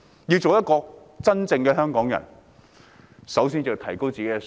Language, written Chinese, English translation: Cantonese, 要當一名真正的香港人，首先要提高自己的素質。, To become a real Hongkonger we must first upgrade ourselves